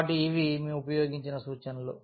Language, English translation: Telugu, So, these are the reference we have used